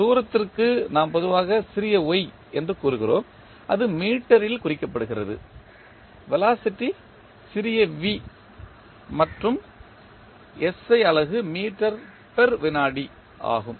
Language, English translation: Tamil, For distance we generally say small y which is represented in meter, velocity is small v and the SI unit is meter per second